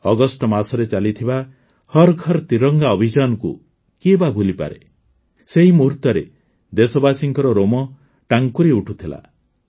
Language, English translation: Odia, Who can forget the 'Har GharTiranga' campaign organised in the month of August